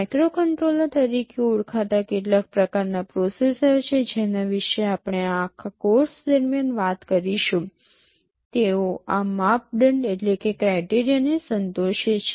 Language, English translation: Gujarati, There is some kind of processor called microcontroller that we shall be talking about throughout this course, they satisfy all these criteria